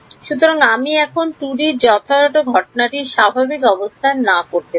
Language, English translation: Bengali, So, I can now make that 2D right incident at non normal right